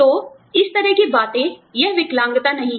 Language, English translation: Hindi, So, that kind of things, it is not disabilities